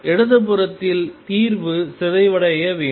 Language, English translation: Tamil, On the left hand side the solution should also decay